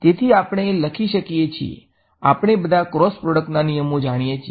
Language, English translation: Gujarati, So, we can write we all know the rules of cross product